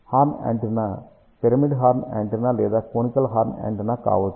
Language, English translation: Telugu, A horn antenna can be a pyramidal horn antenna or conical horn antenna